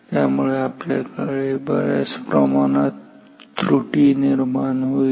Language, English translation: Marathi, So, we have a significant amount of error